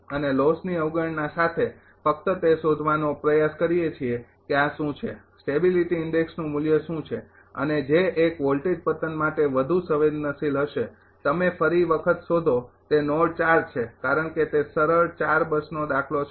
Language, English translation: Gujarati, And with loss neglected we just try to find out what are this ah what are what are the value of the stability index and which one will be more sensitive voltage collapse you will find again it is node 4, because it is simple ah 4 bus problem